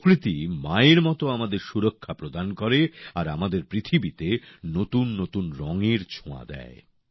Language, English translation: Bengali, Nature nurtures us like a Mother and fills our world with vivid colors too